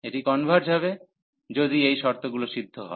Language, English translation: Bengali, And it will converge, if these conditions are satisfied